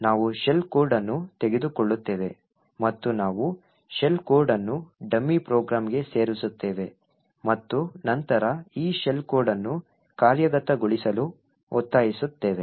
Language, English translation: Kannada, We will take a shell code and we will inject the shell code into a dummy program and then force this shell code to execute